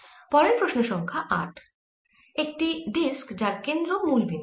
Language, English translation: Bengali, next question number eight: a disc with its centre at the origin